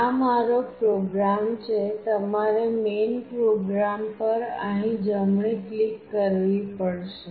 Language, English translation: Gujarati, This is my program you have to right click here on main program